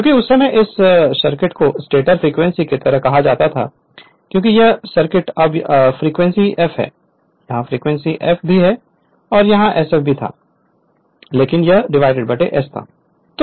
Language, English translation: Hindi, Because at that time your what you call right hand this circuit is referred to your like your stator frequency because this circuit this circuit here it is now frequency F there also frequency F here it was sf here it is sjf, but this one as divided by s